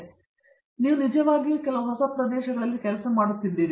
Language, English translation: Kannada, So, you are working on really on some of the newer areas